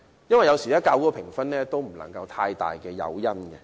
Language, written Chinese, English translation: Cantonese, 有時候，較高的評分也並非太大的誘因。, Sometimes the incentive of a higher score is not too big